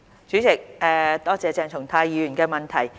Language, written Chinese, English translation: Cantonese, 主席，多謝鄭松泰議員的補充質詢。, President I thank Dr CHENG Chung - tai for his supplementary question